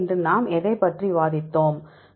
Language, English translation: Tamil, So, summarize what did we discuss today